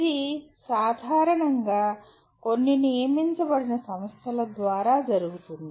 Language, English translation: Telugu, And this is normally done through some designated institutions